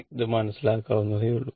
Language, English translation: Malayalam, So, this is understandable